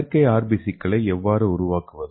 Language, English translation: Tamil, So how to make this artificial RBC